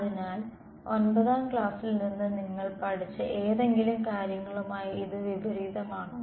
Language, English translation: Malayalam, So, does that contrast with something that you have learnt from like class 9